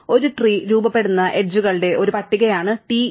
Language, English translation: Malayalam, So, TE is a list of edges that form a tree